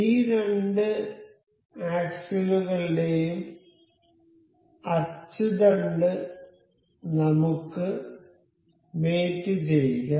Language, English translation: Malayalam, So, the axis of these two axles we can mate